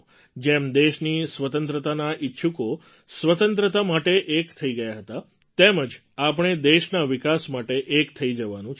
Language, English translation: Gujarati, Just the way champion proponents of Freedom had joined hands for the cause, we have to come together for the development of the country